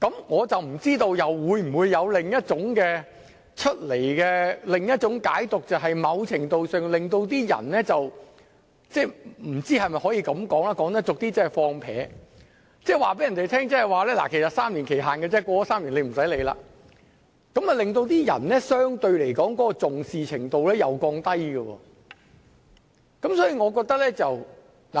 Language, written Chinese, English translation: Cantonese, 我不知道會否出現另一種解讀，就是在某程度上令人產生散漫的態度，即告訴違法者，其實只有3年檢控時限，過了3年便不用理會，這相對地會令人降低對有關規定的重視程度。, I do not know if that will give rise to another interpretation . To a certain extent it may make people feel relaxed . In other words it may send a message to potential law - breakers that the time limit for prosecution is only three years and they can ignore the laws after three years